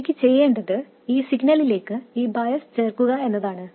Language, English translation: Malayalam, What I want to do is to add this bias to that signal